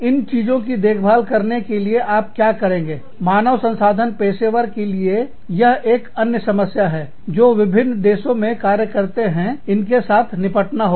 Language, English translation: Hindi, Who takes care of these things, is another challenge, that the HR professionals, operating in different countries, have to deal with